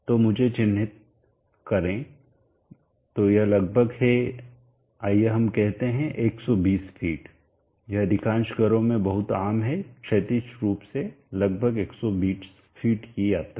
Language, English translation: Hindi, So let me mark that, so this is around let us say 120 feet just pretty common in most of the homes traveling horizontally around 120 feet